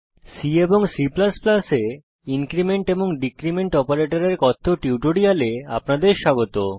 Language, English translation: Bengali, Welcome to the spoken tutorial on Increment and Decrement Operators in C and C++